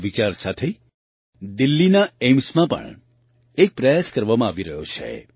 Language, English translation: Gujarati, With this thought, an effort is also being made in Delhi's AIIMS